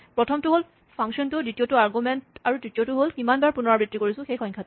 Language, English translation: Assamese, The first is the function, the second is the argument, and the third is the number of times, the repetitions